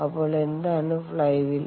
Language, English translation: Malayalam, ok, so what is the flywheel